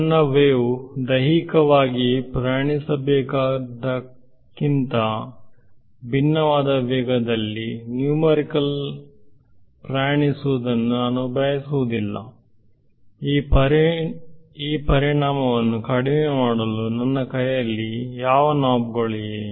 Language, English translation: Kannada, I do not want my wave to be numerically travelling at a speed different from what it should physically travelled, what knobs do I have in my hand to reduce this effect